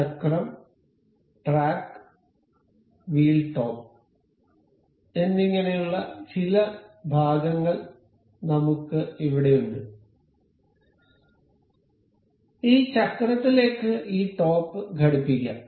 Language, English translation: Malayalam, I here have some parts that is wheel, a track and wheel top; we will just fix it, fix this top to this wheel